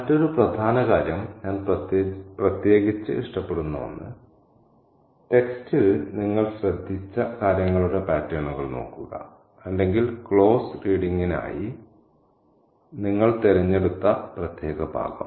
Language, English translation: Malayalam, The other important thing and the other important thing, one that I particularly like is to look for patterns in the things you have noticed about in the text or in the particular passage that you have chosen for a close reading